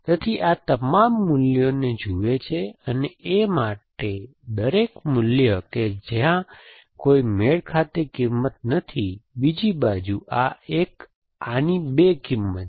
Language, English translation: Gujarati, So, it looks at all these values and for A, every value where there is no matching value, on the other side this one, this one has two values